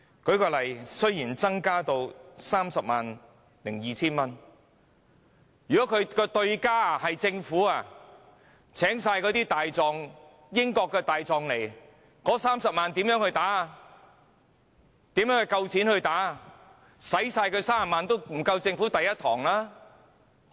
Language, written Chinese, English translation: Cantonese, 舉例來說，雖然限額已增加至 302,000 元，但若訴訟對手是政府，而政府全聘用英國大狀，那麼，這30萬元的金額，如何足夠負擔訟費？, For instance although the increase is adjusted to 302,000 if the opponent is the Government and the Government has hired British counsels to act for it then how can this amount of 300,000 be sufficient to bear the legal costs?